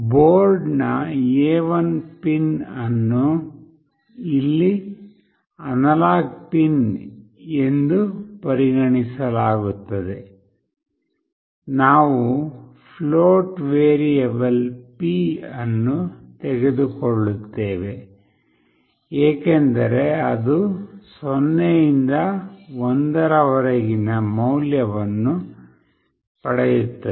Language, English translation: Kannada, The A1 pin of the board is considered as the analog pin here, we take a float variable p because it will get a value ranging from 0 to 1